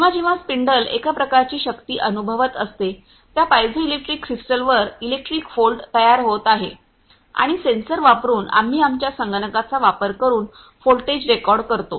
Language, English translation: Marathi, So whenever the spindle is experiencing some sort of the force; electric volt is getting generated on those piezoelectric crystal and by using sensors we are that voltage we are recorded by using our computer